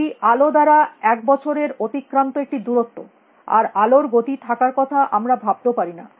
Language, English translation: Bengali, It is a distance covered by light in one year and we do not even think of light having speed